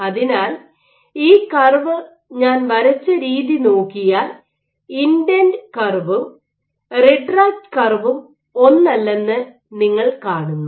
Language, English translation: Malayalam, So, the way I have drawn this curve you are seeing that the approach and the retract curves are not the same